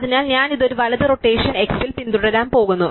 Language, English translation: Malayalam, So, I am going to follow this a by a right rotation at x